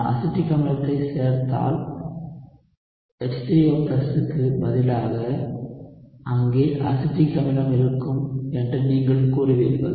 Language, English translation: Tamil, If I add acetic acid you would say that instead of H3O+ maybe I will have the acetic acid there